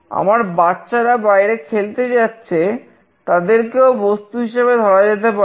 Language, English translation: Bengali, My children are going outside for playing, they can also be treated as objects